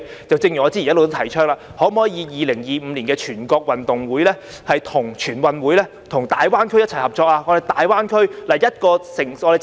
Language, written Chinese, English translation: Cantonese, 正如我早已提倡 ，2025 年的全國運動會，可否與大灣區其他城市合作呢？, As I advocated long ago can we cooperate with other cities in GBA to hold the National Games in 2025?